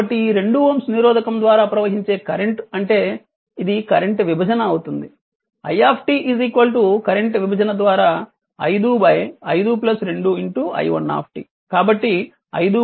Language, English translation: Telugu, So, it will it will be the current division what is the current flowing through this 2 ohm resistance that is your I t is equal to 5 by current division 5 by 5 plus 2 into your i1t right